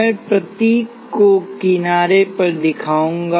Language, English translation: Hindi, I will show the symbol on the side